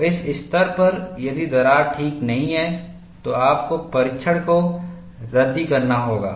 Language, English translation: Hindi, So, at this stage, if the crack is not alright, then you have to scrap the test; then you have to redo the test